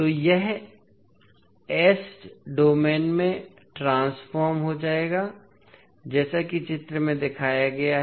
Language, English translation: Hindi, So it will be converted in S domain as shown in the figure